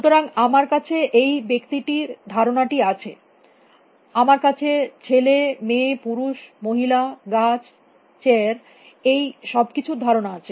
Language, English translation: Bengali, So, I have this concept of people; I have concepts of you know boys, girls, men, women, all kind of concepts, trees, chairs